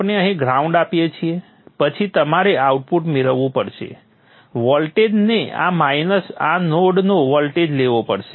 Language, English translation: Gujarati, You give the ground here then you will have to get the output voltage you will have to take voltage of this minus the voltage of this node